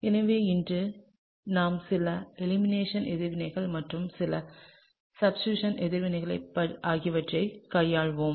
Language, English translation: Tamil, So, today we will deal quite a bit with some elimination reactions and also some substitution reactions